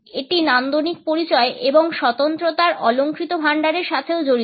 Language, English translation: Bengali, It is also associated with the rhetorical repertoire of aesthetics identity and uniqueness